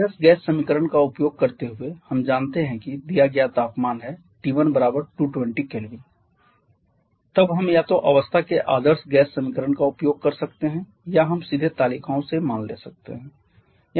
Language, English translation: Hindi, Using ideal gas equation we know that given temperature T1 is 220 kelvin then we can either use ideal gas equation of state or we can directly take the values from the tables